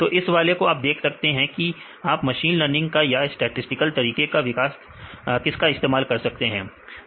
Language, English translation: Hindi, So, from this one you can see that whether you use machines learning or statistical methods